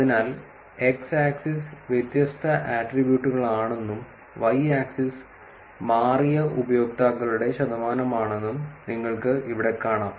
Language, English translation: Malayalam, So, you can just see here that this is the x axis is the different attributes, and y axis the percentage of users who have changed